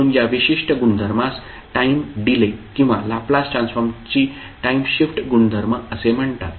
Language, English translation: Marathi, So this particular property is called time delay or time shift property of the Laplace transform